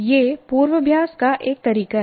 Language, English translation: Hindi, That is one way of rehearsal